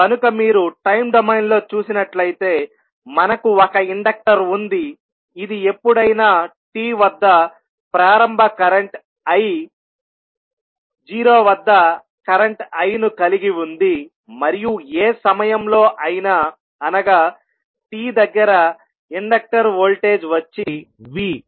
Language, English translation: Telugu, So, if you see in time domain we have a inductor which is carrying some current I at any time t with initial current as i at 0 and voltage across inductor is v at any time t